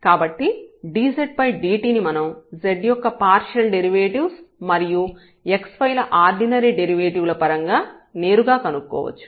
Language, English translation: Telugu, So, dz over dt we can find out directly in terms of the partial derivatives of z and the ordinary derivatives of x and y